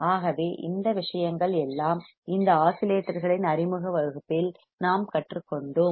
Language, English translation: Tamil, So, these things we have learned in the introduction to the oscillators